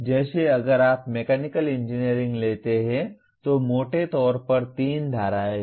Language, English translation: Hindi, Like if you take Mechanical Engineering, broadly there are 3 streams